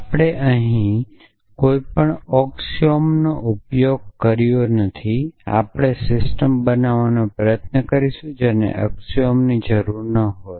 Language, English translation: Gujarati, We have not use any axioms here so by and large we try to systems were axioms are not needed